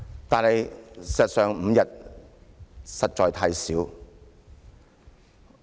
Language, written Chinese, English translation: Cantonese, 但事實上 ，5 天實在太少。, But as a matter of fact five days are really less than adequate